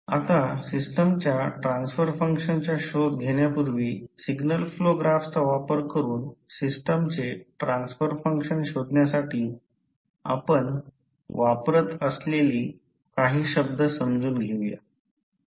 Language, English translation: Marathi, Now, before going into finding out the transfer function of a system let us understand few terms which we will use for finding out the transfer function of the system using signal flow graph